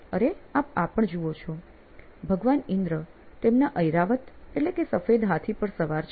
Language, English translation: Gujarati, And what you also see is, Lord Indra riding on his “Airavat” or white elephant